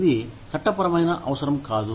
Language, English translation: Telugu, This is not a legal requirement